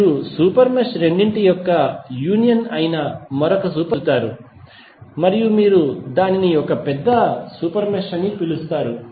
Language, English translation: Telugu, You will get an another super mesh which is the union of both of the super meshes and you will call it as larger super mesh